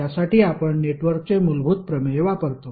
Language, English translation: Marathi, For that we use the fundamental theorem of network